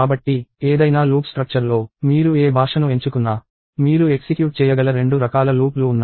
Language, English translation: Telugu, So, in any loop construct, no matter what language you pick, there are two different kinds of loops that you can run